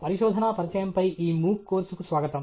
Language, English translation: Telugu, Welcome to this MOOC course on Introduction to Research